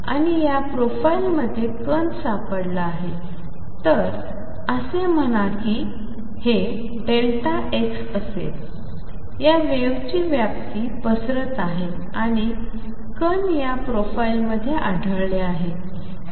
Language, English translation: Marathi, And particle is to be found within this profile; so let say if this is delta x, the extent of this wave spreading then particle is found to be found within this profile